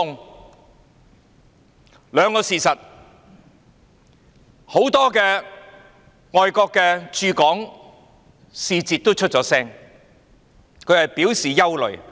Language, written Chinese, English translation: Cantonese, 我們看到兩個事實，很多外國駐港使節已經發聲，表示感到憂慮。, We have seen two facts . Many foreign envoys in Hong Kong have already voiced their views and worries